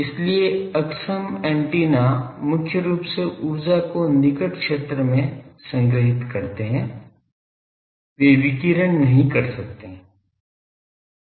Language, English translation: Hindi, So, inefficient antennas they mainly store the energy in the near field they cannot radiate